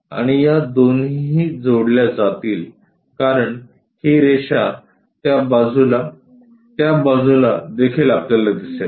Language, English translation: Marathi, And these two supposed to get joined because this line on that side on that side also we will see